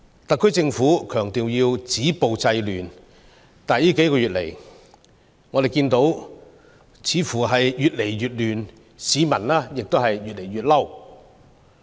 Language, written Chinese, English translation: Cantonese, 特區政府強調要止暴制亂，但最近數月，我們看到似乎越來越亂，市民越來越憤怒。, The SAR Government stresses its determination to stop violence and curb disorder . However in recent months what we find is that the situation becomes increasingly chaotic and people become increasingly angry